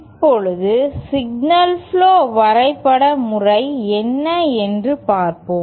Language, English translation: Tamil, Now, let us see what is the signal flow graph method